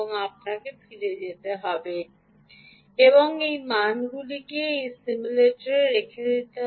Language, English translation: Bengali, right, you will have to go back and put this values into this simulator